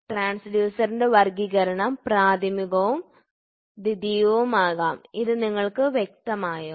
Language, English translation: Malayalam, So, classification of transducer can be primary and secondary, is it clear